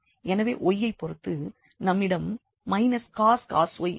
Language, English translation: Tamil, So, with respect to y we will have minus cos y